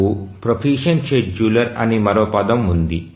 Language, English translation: Telugu, We have another term as a proficient scheduler